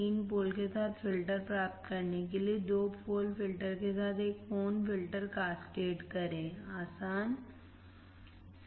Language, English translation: Hindi, To obtain filter with three poles, cascade two pole filter with one pole filters easy right